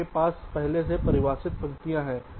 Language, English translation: Hindi, you already have the rows defined